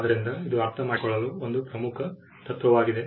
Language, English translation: Kannada, So, this is a key principle to understand